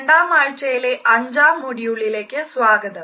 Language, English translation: Malayalam, Dear participants, welcome to the 5th module of the second week